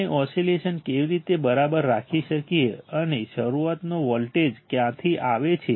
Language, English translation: Gujarati, Gow we can have oscillations all right and when does from where does the starting voltage come from